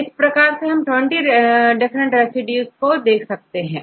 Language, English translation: Hindi, So, we will get for the 20 different residues